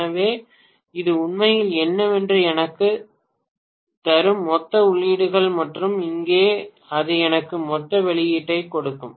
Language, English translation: Tamil, 8, so this will actually give me what are all the total inputs and here it will give me total output